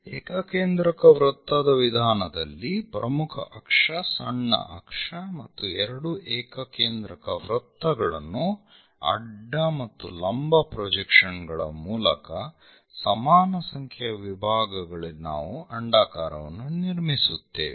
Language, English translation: Kannada, In concentric circle method, we have major axis, minor axis and two circles we draw, two concentric circles by horizontal and vertical projections on equal number of divisions we will construct these ellipse